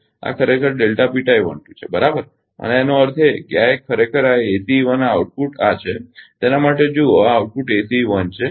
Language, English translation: Gujarati, So, this is actually delta P tie 1 2, right and that means, this one actually this ACE 1 this output output is this for look look this output is ACE 1